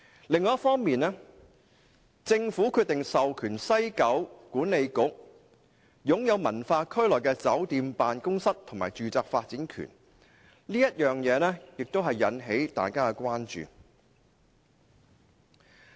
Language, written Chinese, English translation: Cantonese, 另一方面，政府決定授權西九管理局擁有文化區內的酒店、辦公室及住宅發展權，這點引起了大家關注。, Furthermore the Government has decided to grant the development rights over hotels offices and residential blocks within WKCD to WKCDA